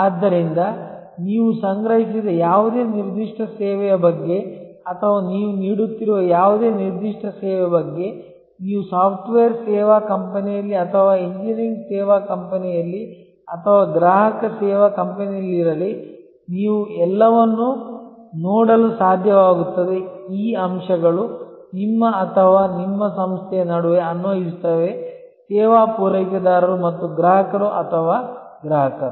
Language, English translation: Kannada, So, if you thing about any particular service that you have procured or any particular service that you might be offering, whether you have in a software service company or in an engineering service company or a consumer service company, you will be able to see all this elements apply between you or your organization is the service provider and the customer or the consumer